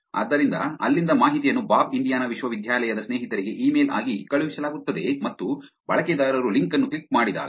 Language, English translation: Kannada, So, from there the information is sent as an email, bob to friends at Indian University, and when the user clicks on the link